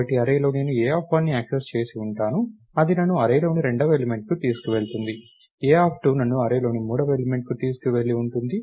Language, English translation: Telugu, So, in an array I would have accessed A of 1 that would have taken me to the second element in the array, A of 2 would have taken me to the third element in the array and so, on